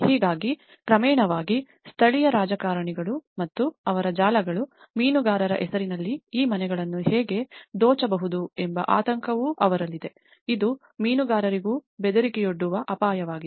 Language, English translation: Kannada, So, in gradual process, they also have worried about how the local politicians and their networks, how they can grab these houses on the name of fishermanís that is also one of the threat which even fishermen feel about